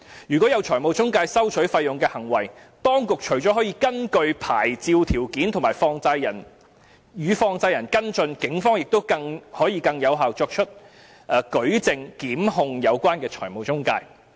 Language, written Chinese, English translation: Cantonese, 如果有財務中介收取費用的行為，當局除了可以根據牌照條件與放債人跟進外，警方可以更有效地作出舉證，檢控有關的財務中介。, In case fees are charged by the financial intermediaries the authorities can follow up with the money lenders in accordance with the licensing conditions and the evidence - gathering efforts of the Police can be more effective to facilitate prosecution of the financial intermediaries in question